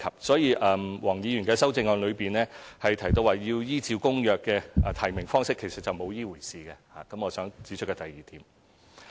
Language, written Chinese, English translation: Cantonese, 所以，黃議員的修正案中提到要採用符合《公約》規定的提名方式，其實並沒有這回事，這是我想指出的第二點。, Therefore nomination methods that comply with ICCPR as indicated in the amendment does not actually exist . This is the second point that I want to make